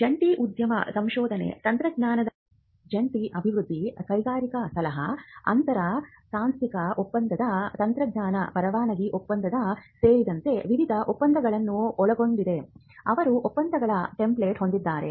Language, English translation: Kannada, They also have templates of agreements; for instance, various agreements like a joint venture or a joint collaborative research, joint development of technology, industrial consultancy, inter institutional agreement technology licensing agreement